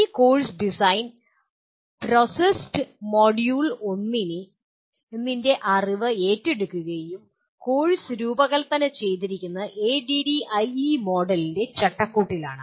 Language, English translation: Malayalam, This course design process assumes the knowledge of module 1 and the course is designed in the framework of ADDIE Model